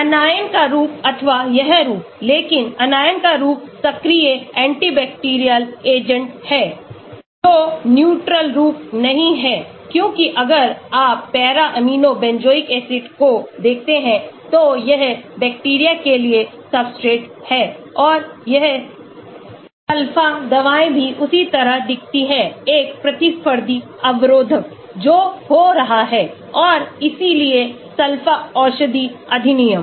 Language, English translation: Hindi, the Anion form or this form, but the anion form is active anti bacterial agent not the neutral form because if you look at para amino benzoic acid this is which is the substrate for bacteria and this Sulpha drugs also looks similar to that so there is a competitive inhibition that is happening and hence the sulpha drug act